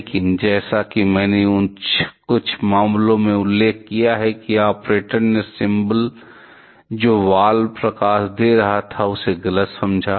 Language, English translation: Hindi, But as I mentioned in some cases also mentioned that the operator misunderstood; the symbol that the valve the light was giving